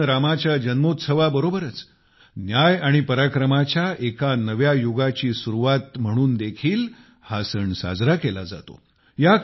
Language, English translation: Marathi, It is also celebrated as the birth anniversary of Lord Rama and the beginning of a new era of justice and Parakram, valour